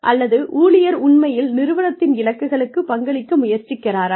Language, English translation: Tamil, Or, is the employee, really trying to contribute, to the organization's goals